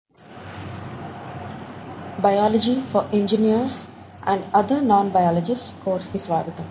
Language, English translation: Telugu, Welcome to this course “Biology for Engineers and other Non Biologists”